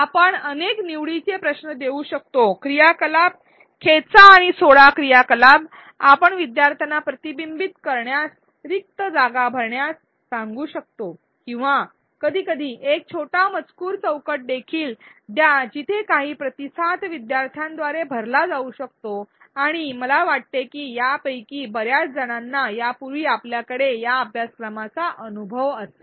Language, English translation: Marathi, We can give multiple choice questions, drag and drop activities, we can ask learners to annotate an image, fill in the blank or sometimes even give a short text box where some response can be filled in by the learner and I think many of these have already you may already have experience about these from this course